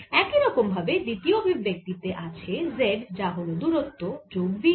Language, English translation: Bengali, similarly, the second one has z, which is distance plus v t